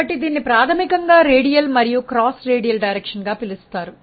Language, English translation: Telugu, So, this is fundamentally called as radial and cross radial direction